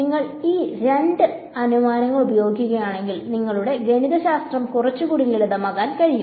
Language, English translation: Malayalam, So, if you use these two assumptions you can simplify your mathematics a little bit more